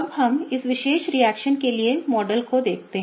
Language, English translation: Hindi, Now, let us look at the models for this particular reaction, okay